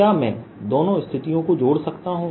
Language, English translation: Hindi, can i relate the two situations